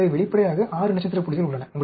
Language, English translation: Tamil, So, obviously, there are 6 star points